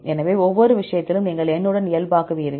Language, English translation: Tamil, So, in each case, you will normalize with the N